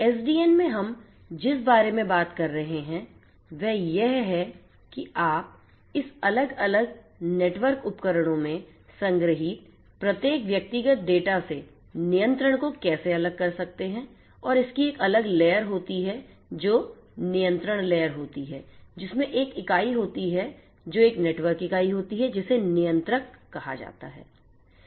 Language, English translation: Hindi, In SDN what we are talking about is how you can separate out the control from this individual data that are stored in each of these different different network equipments and have a separate layer which is the control layer having an entity a network entity which is termed as the controller